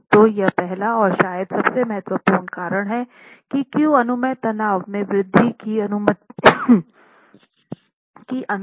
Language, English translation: Hindi, So that is the first and probably the foremost reason why increase in permissible stresses is allowed